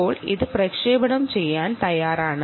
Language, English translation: Malayalam, now this is ready to be transmitted